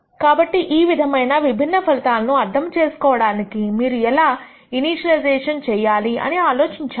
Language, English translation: Telugu, So, to interpret the difference in the results you have to really think about how the initialization is done